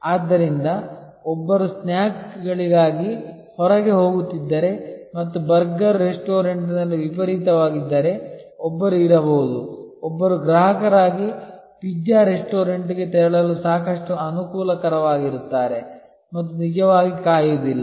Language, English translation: Kannada, So, if one is going out for snakes and if there is a rush at the burger restaurant, one may not be, one will be quite amenable as a customer to move to a pizza restaurant and not actually wait